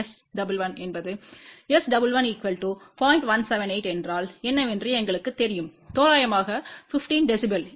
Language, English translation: Tamil, 178 you take the log of that that comes out to be approximately 15 dB